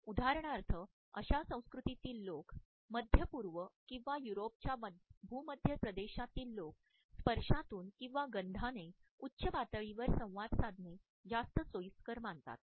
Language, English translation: Marathi, People in such cultures for example, people in the Middle East or in the Mediterranean region of Europe are comfortable with high levels of sensory inputs from touch or also from a smell